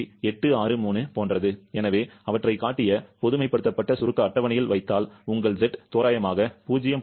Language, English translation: Tamil, 863 so, if you put them in the generalised compressibility chart that have shown, your Z will be coming roughly 0